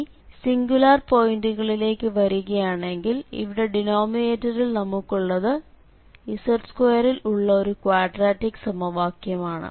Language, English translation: Malayalam, So, coming to the singularities so this is a quadratic equation in z 2